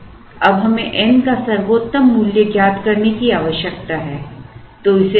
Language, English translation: Hindi, Now, we need to find out the best value of n